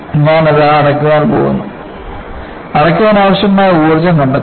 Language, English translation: Malayalam, I said, I am going to close it, find out the energy require to close